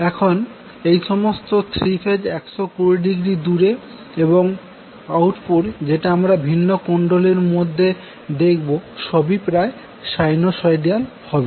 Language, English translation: Bengali, So, now, all these 3 phases are 120 degree apart and the output which you will see in the individual coil is almost sinusoidal